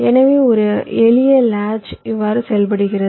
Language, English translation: Tamil, ok, so this is how a simple latch works